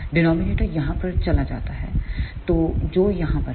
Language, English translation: Hindi, The denominator goes over here, so, which is right over here